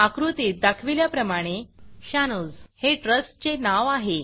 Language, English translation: Marathi, In the image shown, the name of the trust is Shanoz